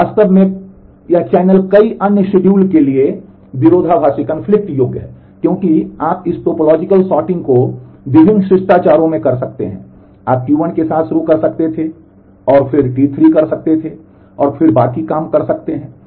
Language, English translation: Hindi, It is also actually this channel is conflict serializable to several other schedule because you can do this topological sorting in various different manners, you could have started with T 1 and then do T 3 and then do the rest